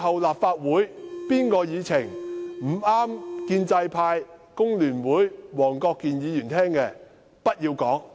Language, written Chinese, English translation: Cantonese, 立法會以後凡有建制派、工聯會和黃國健議員不中聽的言論，均不要講。, In future Members of the Legislative Council should not make any remarks unpleasant to the ears of the pro - establishment camp FTU and Mr WONG Kwok - kin